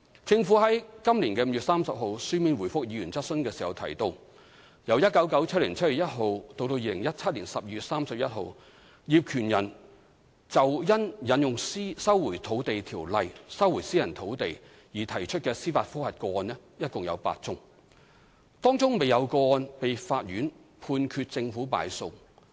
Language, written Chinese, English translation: Cantonese, 政府於今年5月30日書面答覆議員質詢時提到，由1997年7月1日至2017年12月31日，業權人就因引用《收回土地條例》收回私人土地而提出的司法覆核個案共有8宗，當中未有個案被法院判決政府敗訴。, In the written reply to a Members question on 30 May this year the Government mentioned that a total of eight judicial review cases arising from the invocation of LRO for resumption of private land were lodged by landowners from 1 July 1997 to 31 December 2017 and the Government had lost none of the cases according to court rulings